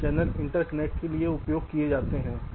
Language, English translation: Hindi, this channel is used for interconnection